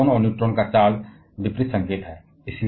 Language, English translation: Hindi, But the charge of proton and electron are of opposite signs